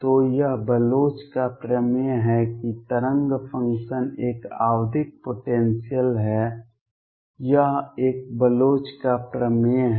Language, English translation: Hindi, So, this is the Bloch’s theorem that the wave function in a periodic potential, this is a Bloch’s theorem